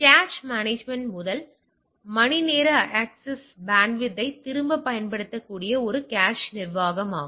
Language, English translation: Tamil, Cache management utilised efficient utilisation of the bandwidth for first hour access that is the cache management